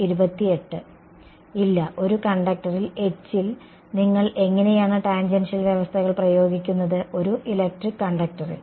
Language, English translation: Malayalam, No, how do you apply tangential conditions on H in a conductor; in a electric conductor